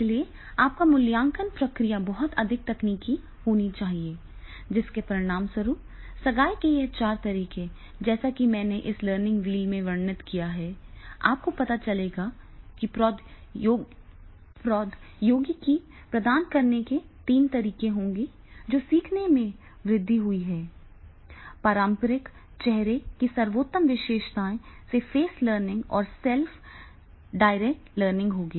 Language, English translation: Hindi, So, your assessment process is to be very, very much technical as a result of which with these four modes of the engagement as I described in this learning wheel, there you will find that is the there will be three modes of delivery technology enhance learning, based features of traditional face to face learning and the self directed learning will be there